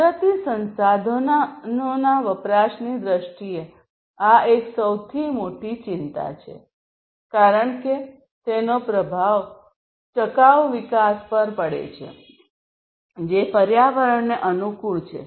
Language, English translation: Gujarati, So, in terms of consumption of natural resources this is one of the very biggest concerns, because that has impact on the sustainable development which is environment friendly